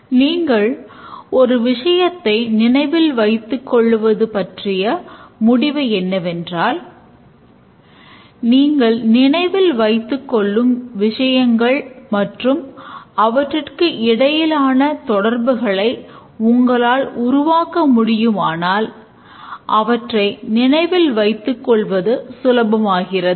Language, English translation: Tamil, One conclusion here we can make is that if you are remembering something and you are able to build a relation between the things that you want to remember, then it becomes easier to remember